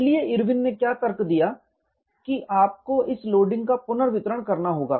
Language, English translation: Hindi, So, what Irwin argued was you have to have redistribution of this loading